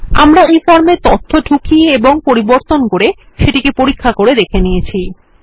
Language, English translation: Bengali, We have tested the form by entering and updating data